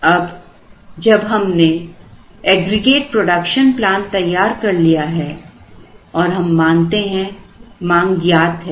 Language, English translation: Hindi, Now, when we worked out the aggregate production plan, we assume that these demands are known